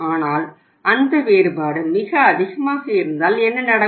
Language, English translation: Tamil, But if that difference is very high then what will happen